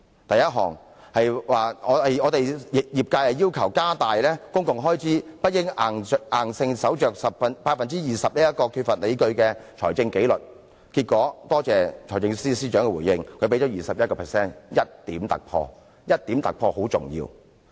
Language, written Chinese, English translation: Cantonese, 第一項，業界要求加大公共開支，不應硬守着 20% 這個缺乏理據的財政紀律，結果我感謝財政司司長的回應，他給予 21%， 有 1% 的突破，這 1% 的突破甚為重要。, First the sector requested increasing the public expenditure rather than rigidly sticking to the groundless fiscal discipline of limiting it to 20 % of the Gross Domestic Product . I thank the Financial Secretary for his response . He finally revised it to 21 % with a breakthrough of 1 %